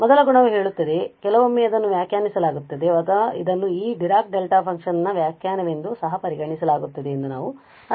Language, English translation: Kannada, The first property says or sometimes it is defined or I means this is also treated as the definition of this Dirac Delta function